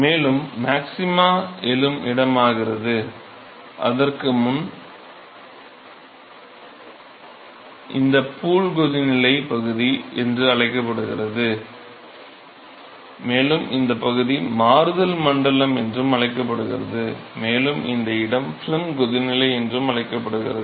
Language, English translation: Tamil, And the location up to which the maxima arises maxima arises, this region before that is called the pool boiling region called the pool boiling region, and this region is called the transition region called the transition region and this place is called the film boiling